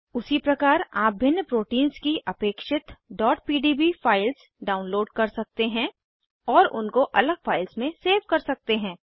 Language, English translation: Hindi, Similarly, you can download the required .pdb files of various proteins and save them in separate files